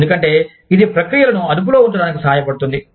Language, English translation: Telugu, Because, that helps, keep processes in check